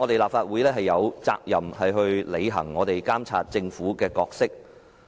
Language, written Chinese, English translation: Cantonese, 立法會有責任去履行監察政府的角色。, The Legislative Council is duty - bound to play a role in monitoring the Government